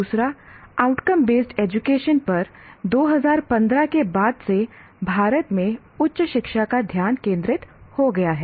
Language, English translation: Hindi, And outcome based education officially has become a focus of higher education in India since 2015